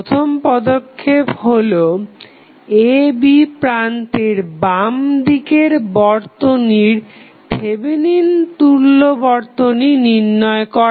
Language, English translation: Bengali, the first step would be to find the Thevenin equivalent of this circuit which is left to the terminals AB